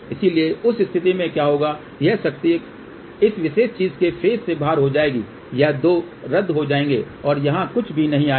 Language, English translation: Hindi, So, what will happen in that case this power will be outer phase of this particular thing, these 2 will cancel and nothing will come over here ok